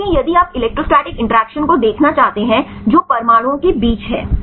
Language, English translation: Hindi, Because if you want to see the electrostatic interactions that is between the atoms right